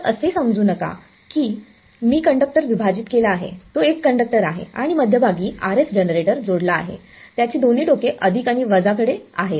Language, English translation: Marathi, So, don’t think that I have split the conductor its one conductor and in the middle as connected one RF generator both the leads to it plus and minus